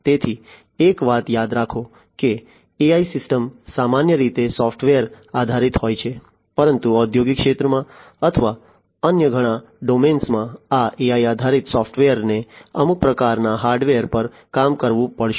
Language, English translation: Gujarati, So, remember one thing that AI systems are typically software based, but in industrial sector or, many other domains they these software, these AI based software will have to work on some kind of hardware